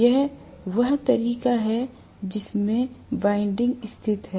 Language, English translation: Hindi, This is the way I am going to have the windings that are located